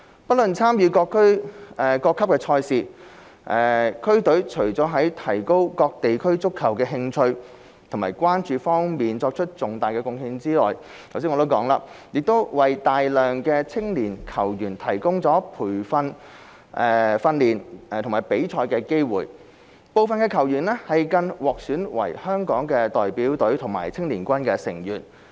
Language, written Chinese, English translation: Cantonese, 不論參與各級賽事，區隊除了在提高各地區對足球的興趣和關注方面作出重大貢獻外，亦為大量青年球員提供訓練和比賽機會，部分球員更獲選為香港代表隊和青年軍成員。, Regardless of the division of league they are participating in district teams have apart from contributing significantly in enhancing the interest and enthusiasm in football in their respective districts provided training and competition opportunities for many young players some of whom have even been selected as members of the Hong Kong Team and Hong Kong Youth Team